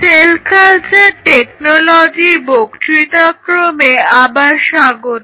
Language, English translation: Bengali, Welcome back into the lecture series on Cell Culture Technology